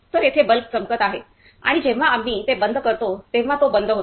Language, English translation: Marathi, So, here the bulb is glowing on and when we turn it off, it is getting off